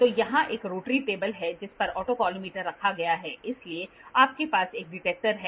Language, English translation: Hindi, So, here is a rotatory table on which the autocollimator is kept, so you have a detector